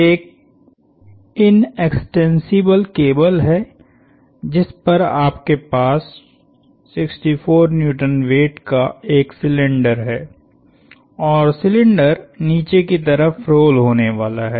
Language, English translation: Hindi, There is an inextensible cable on which you have a cylinder of weight 64 Newtons, and the cylinder is going to be rolling down